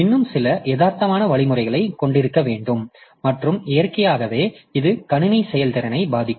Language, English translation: Tamil, So, we have to have some more realistic algorithm and naturally that will affect the system performance